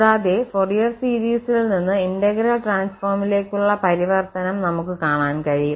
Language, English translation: Malayalam, And we will see the transformation from the Fourier series to the integral transform